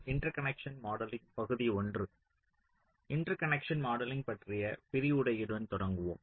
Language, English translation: Tamil, we start with the lecture on interconnecting modeling